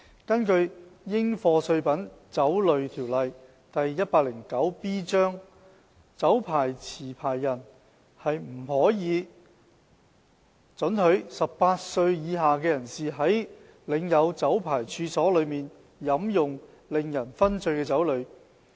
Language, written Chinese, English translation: Cantonese, 根據《應課稅品規例》，酒牌持有人不可以准許18歲以下人士在領有酒牌處所內飲用令人醺醉的酒類。, 109B liquor licensees shall not allow any person under 18 years of age to drink any intoxicating liquor on any licensed premises